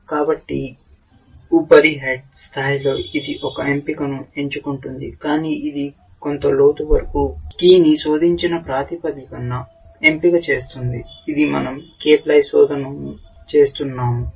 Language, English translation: Telugu, So, of course, on the surface level it is selecting a choice, but it is making a choice on the basis of having searched a key up to some depth, which is let us say k ply search we are doing